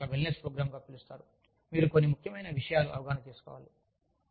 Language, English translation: Telugu, You call it, a wellness program, you have to have, some significant takeaways